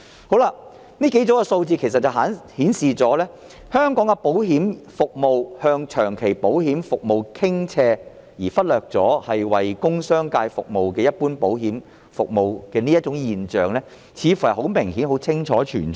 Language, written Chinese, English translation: Cantonese, 其實，這數組數字顯示香港的保險業務向長期保險服務傾斜，忽略了為工商界提供的一般保險服務，這種現象似乎很明顯存在。, In fact these sets of figures show that Hong Kongs insurance industry is tilted towards long - term insurance services to the neglect of general insurance services provided to the business sector . This seems to be an obvious phenomenon